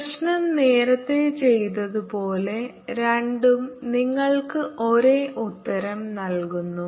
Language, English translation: Malayalam, as the previous problems was done, both give you the same answer